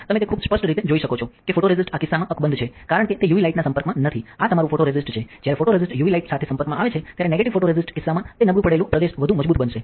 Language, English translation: Gujarati, You can see very clearly that the photoresist is intact in this case because it is not exposed to UV light this is your positive photoresist, when the photoresist is exposure to UV light in case of negative, it will become stronger the unexposed region become weaker